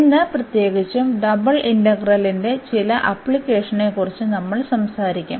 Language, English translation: Malayalam, And today in particular we will be talking about some applications of double integral